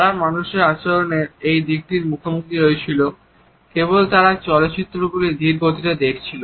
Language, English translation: Bengali, They stumbled upon these aspects of human behavior only when they were watching the films by slowing them down